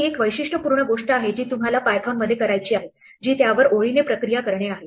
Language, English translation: Marathi, Here is a typical thing that you would like to do in python, which is to process it line by line